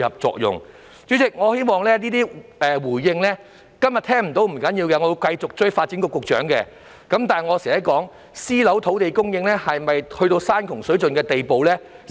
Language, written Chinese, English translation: Cantonese, 代理主席，即使今天聽不到當局的回應，不要緊，我也會繼續追問發展局局長私樓土地供應是否已到山窮水盡的地步。, Deputy President even if we fail to receive a reply from the authorities today it does not matter; I will pursue with the Secretary for Development the question of whether the private housing land supply is on the verge of exhaustion